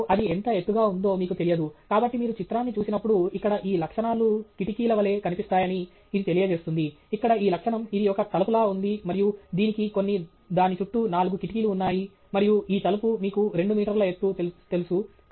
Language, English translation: Telugu, And let’s say, you have no sense of how tall it is, and so when you just look at the image, may be this conveys that these, you know, these features here look like they are windows, this feature here looks like it’s a door and it has some four windows around it, and so, this door is, let’s say, you know 2 meters high